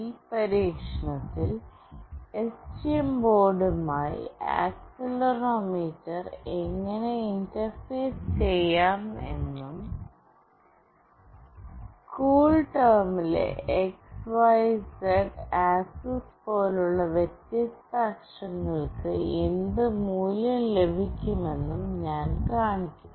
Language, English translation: Malayalam, In this experiment, I will be showing how we can interface accelerometer with STM board, and what value we will get for the different axis like x, y and z axis in CoolTerm